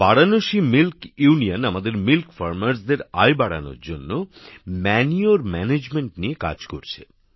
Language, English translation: Bengali, Varanasi Milk Union is working on manure management to increase the income of our dairy farmers